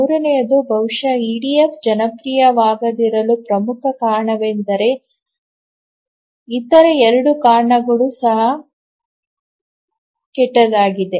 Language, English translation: Kannada, So, the third one is possibly the most important reason why EDF is not popular but then the other two reasons also are bad